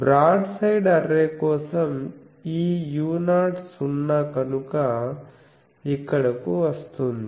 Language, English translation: Telugu, If for a broad side array, this u 0 is 0 that is why it comes here